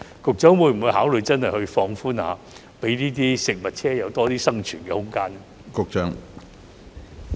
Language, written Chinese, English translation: Cantonese, 局長會否考慮放寬一下，讓美食車有多點生存空間呢？, Will the Secretary consider relaxing the restrictions so that food trucks can have more room for survival?